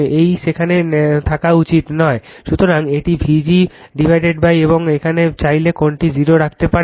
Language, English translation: Bengali, So, it is vg upon your what you call and here if you want, you can put this one this angle 0